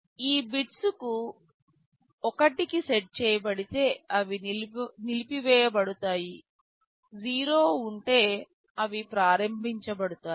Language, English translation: Telugu, If these bits are set to 1, these are disabled; if there is 0, they are enabled